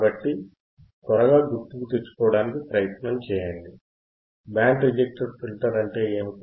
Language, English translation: Telugu, So, to quickly recall, what is band reject filter